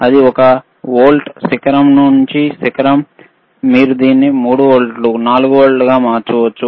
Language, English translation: Telugu, iIt is one volt peak to peak, you can change it to another see 3 volts, 4 volts